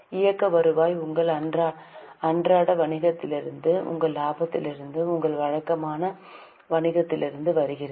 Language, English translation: Tamil, Operating revenue comes from your day to day business, from your profits, from your regular business